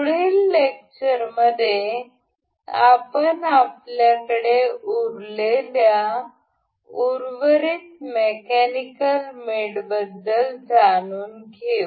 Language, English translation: Marathi, In the next lecture, we will learn about the mechanical mates